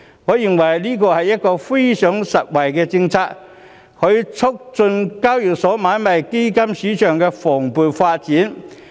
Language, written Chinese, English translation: Cantonese, 我認為這是非常實惠的政策，可促進交易所買賣基金市場的蓬勃發展。, I think this policy offers substantial benefits to promote the vibrant development of the ETF market